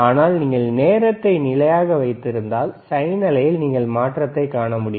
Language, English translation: Tamil, But if you keep that time constant, then you will be able to see the change in the sine wave